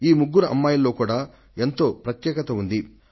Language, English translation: Telugu, What these three daughters have accomplished is truly special